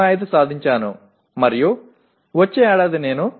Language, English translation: Telugu, 05 and next year I have improved it to 0